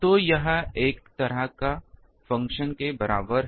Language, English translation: Hindi, So, that is equal to a function like this